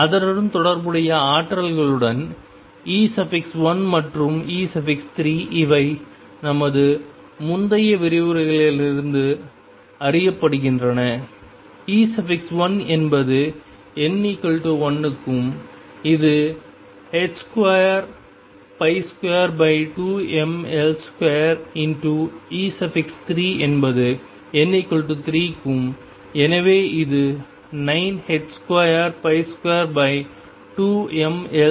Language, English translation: Tamil, With the corresponding energies E 1 and E 3 these are known from a our previous lectures E 1 is for n equals 1 and this is h cross square pi square over 2, m L square E 3 is for n equals 3 and therefore, this is 9 h cross square pi square over 2 m L square